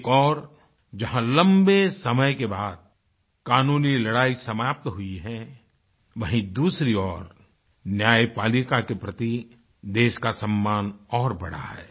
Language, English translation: Hindi, On the one hand, a protracted legal battle has finally come to an end, on the other hand, the respect for the judiciary has grown in the country